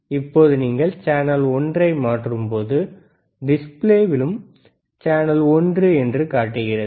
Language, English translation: Tamil, Now when you switch channel one, you will also see on the display, channel one